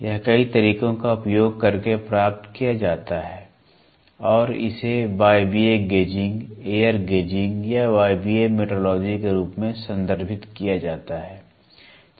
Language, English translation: Hindi, This is achieved by using several methods and it is referred to as pneumatic gauging, air gauging or pneumatic metrology